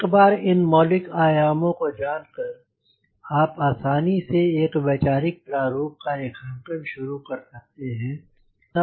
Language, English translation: Hindi, once you know what are this basic dimensions, you can easily start conceptualizing a sketch